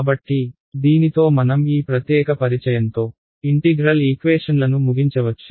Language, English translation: Telugu, So, with this we can bring this particular introduction to integral equations to end